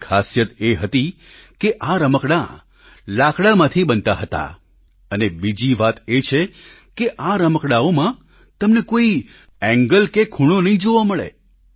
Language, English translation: Gujarati, The speciality of these toys these were made of wood, and secondly, you would not find any angles or corners in these toys anywhere